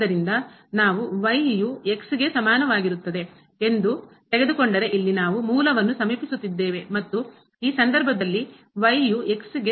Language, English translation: Kannada, So, if we take along is equal to here, we are approaching to the origin and in this case so when is equal to